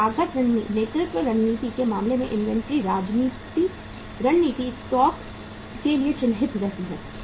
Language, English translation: Hindi, So inventory strategy in case of the cost leadership strategy remains marked to stock